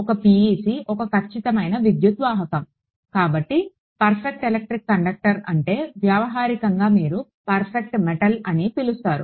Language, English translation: Telugu, A PEC is a perfect electric conductor; so a perfect electric conductor is one which I mean colloquially you will call like a perfect metal